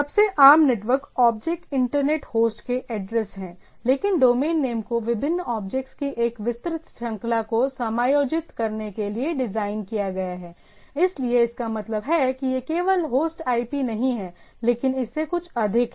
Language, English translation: Hindi, The most common network objects are the addresses of the internet host, but the domain name is designed to accommodate a wide range of different objects, so that means, it is not only the host IPs, but is something much more than that